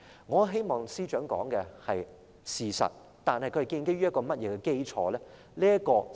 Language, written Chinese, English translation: Cantonese, 我希望司長說的是事實，但他的說法建基於甚麼基礎呢？, I hope that what the Secretary said is the truth but what is the basis for his proposition?